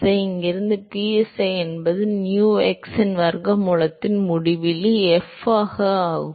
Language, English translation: Tamil, So, from here psi is uinfinity into square root of nu x by uinfinity into f